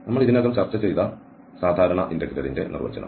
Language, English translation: Malayalam, The definition of the regular the integral which we had discussed already